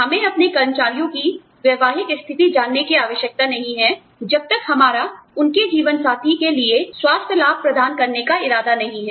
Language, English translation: Hindi, We do not need to know, the marital status of our employees, unless, we intend to provide them, with health benefits, for their spouses